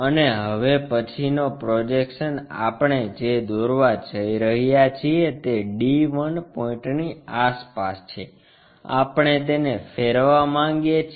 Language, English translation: Gujarati, And the next projection what we are going to make is around the d 1 point, we want to rotate it